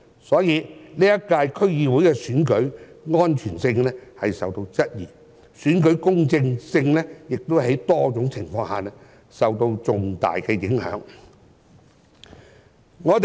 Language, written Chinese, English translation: Cantonese, 所以，本屆區議會選舉的安全性受到質疑，選舉公正性亦在多種情況下受到重大的影響。, Hence the safety of the DC Election this year is questionable and the fairness of the election has also been significantly affected by various different factors